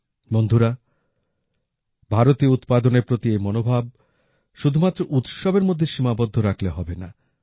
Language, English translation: Bengali, Friends, this sentiment towards Indian products should not be limited to festivals only